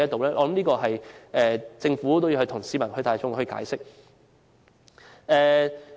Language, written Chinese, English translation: Cantonese, 依我之見，政府也要就此向市民大眾解釋。, In my opinion the Government has to illustrate this publicly